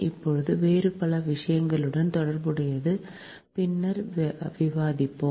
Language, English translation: Tamil, hence many, many other things are associated with that later we will discuss